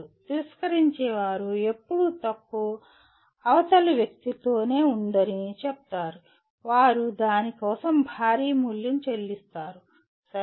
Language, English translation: Telugu, Those who refuse, say always the fault lies with the other person, they will pay a heavy price for that, okay